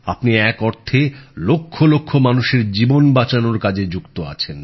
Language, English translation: Bengali, In a way, you are engaged in saving the lives of lakhs of people